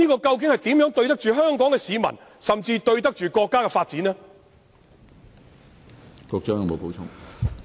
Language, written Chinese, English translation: Cantonese, 這怎對得起香港市民，甚至國家的發展呢？, Will this not let Hong Kong people down or even not let the countrys development down?